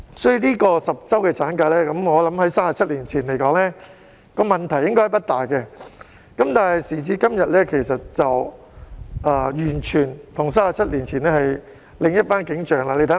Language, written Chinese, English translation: Cantonese, 所以 ，10 周產假在37年前的問題應該不大，但時至今天，與37年前便完全是另一番景象。, For that reason a 10 - week maternity leave would be fine 37 years ago . But the situation nowadays is very different from that of 37 years ago